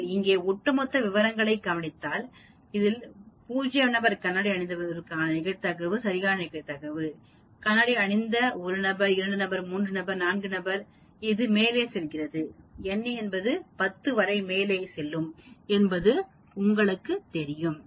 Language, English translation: Tamil, So all these are possible to get, as you can see here this is the cumulative, this is the exact probability for 0 person wearing glasses, 1 person wearing glasses, 2 person, 3 person, 4 person like that you know it goes up to n of 10